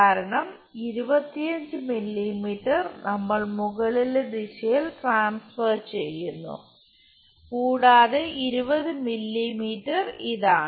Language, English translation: Malayalam, Because 25 mm we are transferring it on the top direction and 20 is this